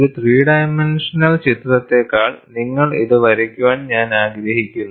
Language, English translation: Malayalam, I would appreciate that you draw this rather than a three dimensional picture